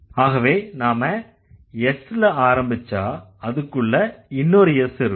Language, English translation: Tamil, So, we start with an S and we will have another S inside it, right